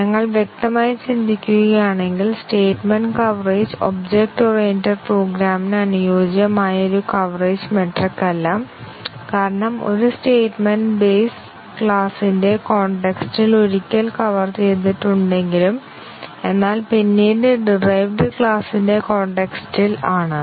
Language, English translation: Malayalam, If we think of it obviously, statement coverage is not an appropriate coverage metric for object oriented program because we had already said that even if a statement is covered in the context of the base class already covered once, but then in the context of the derived class